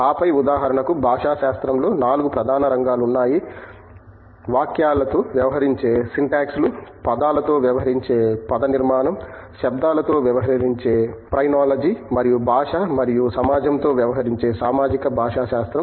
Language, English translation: Telugu, And then, for example, linguistics has 4 more core areas like, Syntax which deals with sentences, Morphology which deals with words, Phrenology which deals with sounds and then Social Linguistics that deals with language and society